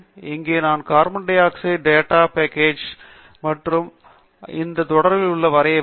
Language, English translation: Tamil, And here, I have loaded the carbon dioxide data set and we shall plot this series